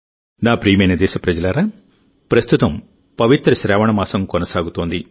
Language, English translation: Telugu, My dear countrymen, at present the holy month of 'Saawan' is going on